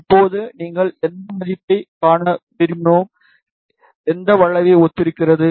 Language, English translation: Tamil, Now, if you want to see which value, corresponds to which curve